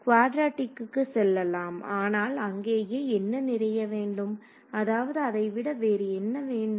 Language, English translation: Tamil, Go to quadratic, but what you need more there I mean what more do you need then